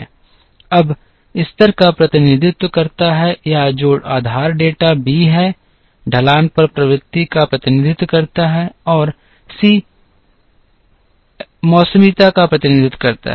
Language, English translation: Hindi, Now, a represents the level or which is the base data b represents the trend on the slope and c represents the seasonality